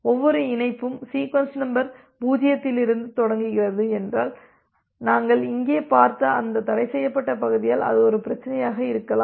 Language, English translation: Tamil, If every connection starts from sequence number 0 then that can be a problem because of that forbidden region concept that we have looked at here